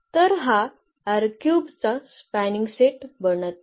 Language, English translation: Marathi, So, what is the spanning set